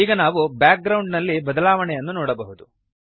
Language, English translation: Kannada, Now we can see the change in the background